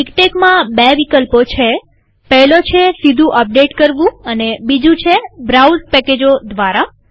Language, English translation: Gujarati, In MikTeX, there are two options, one is update directly the other is through browse packages